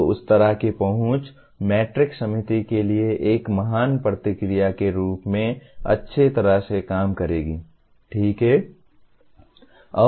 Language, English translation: Hindi, So that kind of access that matrix will act as a great feedback to the committee as well, okay